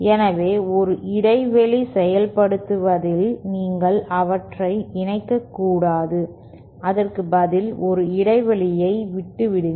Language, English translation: Tamil, So, in a gap implementation you do not connect them, instead leave a gap between